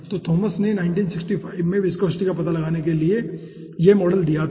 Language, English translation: Hindi, so thomas has given this model for finding out the viscosity in 1965